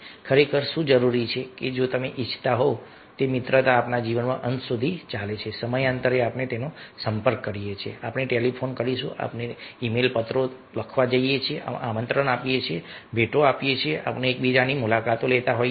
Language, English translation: Gujarati, that really, if you want that that friendship should continue till the end of our life, then time to time we should contact, we should telephone, we should write e mail letters, invite, we should give gifts, we should be busy at with each other, we should go together for a picnic, like that